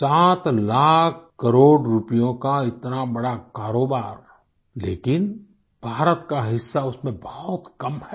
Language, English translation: Hindi, Such a big business of 7 lakh crore rupees but, India's share is very little in this